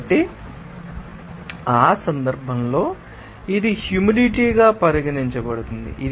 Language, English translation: Telugu, So, in that case, it is regarded as humid heat